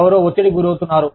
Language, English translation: Telugu, Somebody is feeling pressured